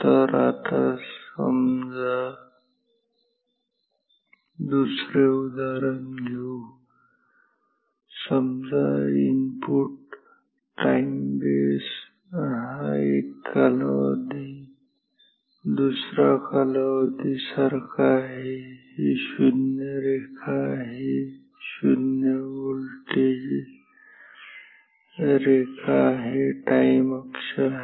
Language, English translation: Marathi, So, the end, but now suppose let us take another example, say the input time base is like this one period, second period ok, this is the 0 line, 0 voltage line time axis